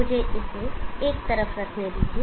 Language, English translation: Hindi, Let me keep it to one side okay